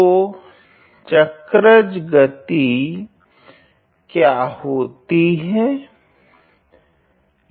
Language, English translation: Hindi, So, what is the cycloid motion